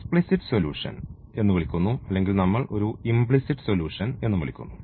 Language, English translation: Malayalam, So, called the explicit solution or we also called as a implicit solution